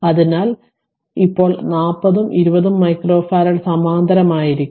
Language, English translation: Malayalam, So, when how will that 40 and 20 micro farad are in parallel